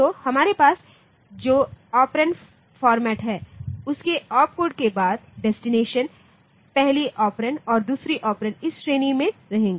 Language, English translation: Hindi, So, the operand format we have is after the opcode we have got the destination then the first operand then the second operand